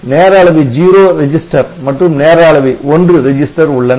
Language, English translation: Tamil, is a timer 0 register, there is a timer 1 register